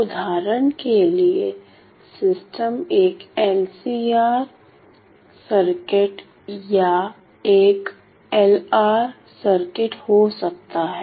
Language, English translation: Hindi, For example, the system could be an LCR circuit or an LR circuit and so on